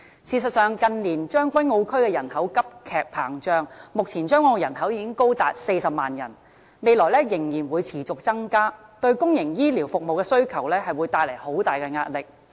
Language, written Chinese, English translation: Cantonese, 事實上，近年將軍澳區人口急劇膨脹，目前將軍澳人口已高達40萬人，未來仍然會持續增加，對公營醫療服務的需求會帶來很大壓力。, As a matter of fact the population in Tseung Kwan O has rapidly grown in recent years . The present population in Tseung Kwan O has already reached 400 000 and it will continue to increase in the future thereby bringing great pressure of demand for public healthcare services